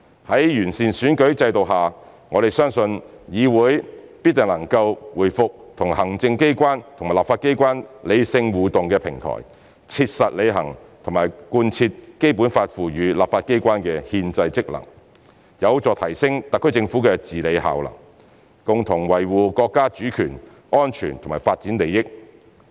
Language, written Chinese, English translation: Cantonese, 在經完善的選舉制度下，我們相信議會必定能夠回復為行政機關和立法機關理性互動的平台，切實履行和貫徹《基本法》賦予立法機關的憲制職能，有助提升特區政府的治理效能，共同維護國家主權、安全和發展利益。, With the improved electoral system we believe the legislature will restore its role as a platform for rational interaction between the executive and the legislature thus it will effectively discharge and implement the constitutional functions of the legislature empowered by the Basic Law . It is also conducive to the enhancement of the SAR Governments effective governance the joint defences of the sovereignty of China and the interests of its national security and development